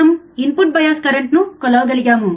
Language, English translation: Telugu, Now we already know input bias current